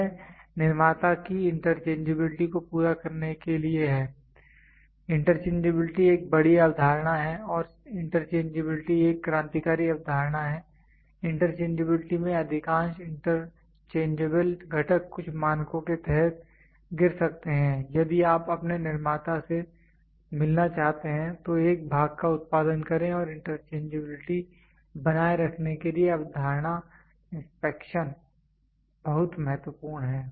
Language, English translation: Hindi, It to meet the interchangeability of manufacturer; interchangeability is a big concept and interchangeability is a revolutionary concept in interchangeability we can most of the interchangeable components fall under some standards if you want to meet your manufacturer to produce a part and maintain interchangeability concept inspection is very much important